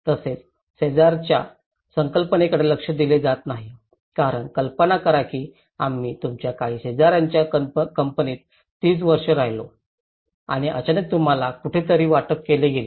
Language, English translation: Marathi, Also, the neighbourhood concept is not well addressed because imagine 30 years we lived in a company of some of your neighbours and suddenly you are allocated somewhere